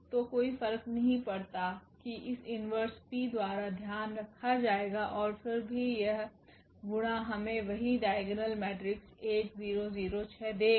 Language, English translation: Hindi, So, does not matter that will be taken care by this P inverse and still this product will give us the same diagonal matrix 1 0 0 6